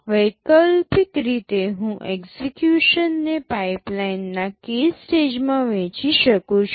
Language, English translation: Gujarati, Alternatively, I can divide the execution into k stages of pipeline